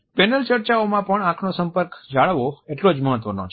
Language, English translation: Gujarati, Eye contact is equally important during the panel discussions also